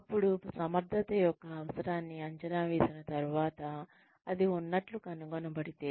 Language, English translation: Telugu, Then, once the requirement for efficiency is assessed, and it is found to be there